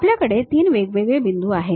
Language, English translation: Marathi, We have 3 different points